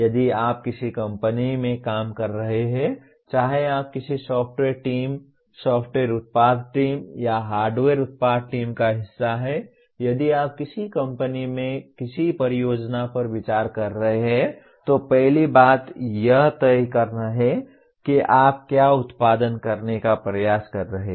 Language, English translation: Hindi, If you are working in a company, whether you are a part of a software team, software product team or a hardware product team, if you are considering any project in any company, the first thing is to decide what exactly are you trying to produce